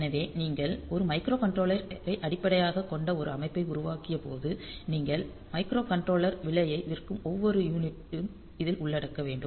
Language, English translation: Tamil, So, when you are when you are built a system based on a microcontroller then every unit that you sell the microcontroller price will come into picture